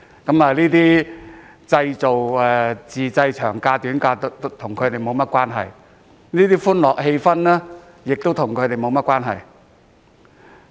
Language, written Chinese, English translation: Cantonese, 這些自製長假、短假與他們沒有關係，而這種歡樂氣氛亦與他們沒有關係。, They have nothing to do with these self - created long and short vacations nor can they feel this joyful atmosphere